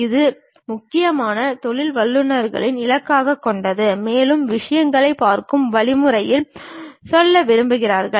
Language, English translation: Tamil, And this is mainly aimed at professionals, and who love to go for algorithmic way of looking at the things